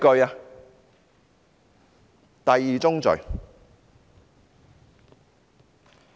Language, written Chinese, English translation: Cantonese, 這是第二宗罪。, This is crime number two